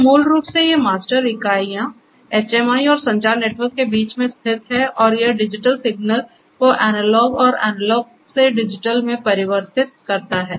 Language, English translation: Hindi, So, this basically these master units sits in between the HMI and the communication network and converts the digital signals to analog and analog to digital and vice versa